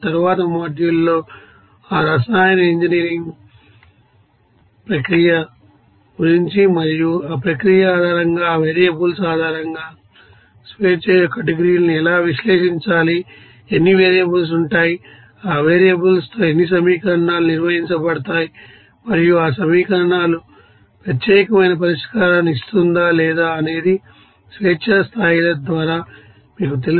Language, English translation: Telugu, In the next module will try to you know discuss more about that chemical engineer process and based on that process, how to analyze the degrees of freedom based on that variables, how many variables will be there with that variables how many equations will be performed and those equations whether will be you know, giving the unique solution or not that can be you know access by the degrees of freedom